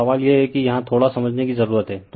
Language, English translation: Hindi, So, question is that that here little bit you have to understand right